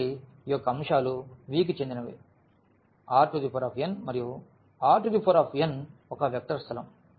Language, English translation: Telugu, So, this elements of this V belongs to R n and R n is a vector space